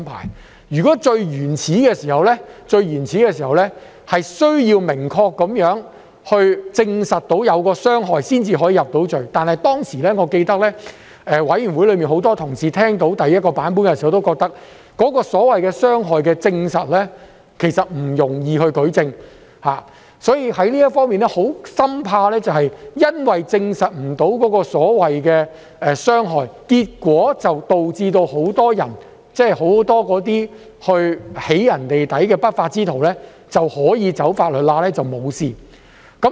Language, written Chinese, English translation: Cantonese, 《條例草案》最原始的版本要求明確證實"起底"行為對資料當事人或其家人造成傷害，才能夠將"起底"人入罪，而我記得，當時委員會內很多同事在聽到第一個版本時，都認為其所謂需證實的傷害，其實不容易舉證，所以，就這方面，大家深怕會因為無法證實所謂的傷害，結果導致很多進行"起底"的不法之徒可以走"法律罅"來脫罪。, The very initial version of the Bill required conclusive proof of harm caused to the data subject or hisher family members by the doxxers act before a conviction could be secured . As I can recall upon hearing the first version many colleagues in the Panel opined that it was actually difficult to adduce evidence for the harm which was required to be proved . In light of this we were deeply concerned that many unscrupulous elements doxxers could end up exculpating themselves by exploiting the legal loopholes resulting from the impossibility to prove what was referred to as harm